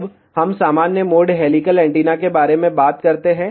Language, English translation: Hindi, Now, let us talk about normal mode helical antenna